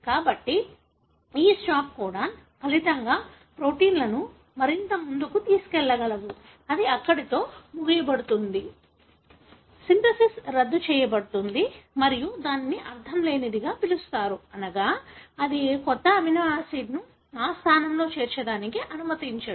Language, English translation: Telugu, So, this stop codon, as a result the proteins will not go any further, it will be terminated there; synthesis will be terminated and that is called as nonsense, meaning it doesn’t allow any new amino acid to be incorporated in that position